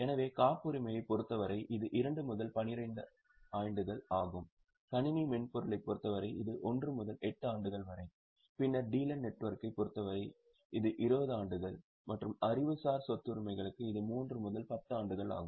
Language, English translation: Tamil, So, for patents it is 2 to 12 years, for computer software it is 1 to 8 years, then for dealer network it is 20 years and for intellectual property rights it is 3 to 10 years